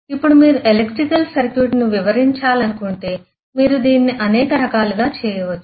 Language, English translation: Telugu, Now if you want to describe the electrical circuit, you can do it in several different ways